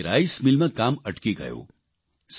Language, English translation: Gujarati, Work stopped in their rice mill